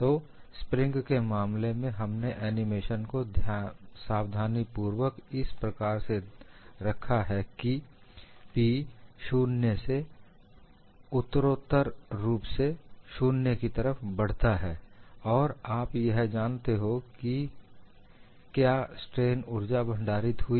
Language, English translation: Hindi, So, in the case of a spring also we have carefully put the animation in such a way that P varies from 0 gradually, and you know what is the strain energy stored